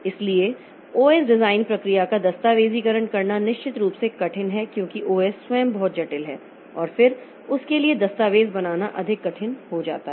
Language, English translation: Hindi, So, documenting the OS design process is definitely difficult because OS itself is very complex and then documenting for that becomes more difficult